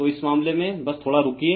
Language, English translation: Hindi, So, in this case just, just hold on ,